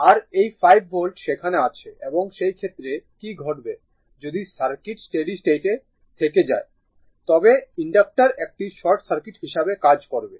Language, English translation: Bengali, And this 5 volt is there and in that case what will happen and if circuit remains for a I mean if it is like this then at steady state, the inductor will act as a short circuit right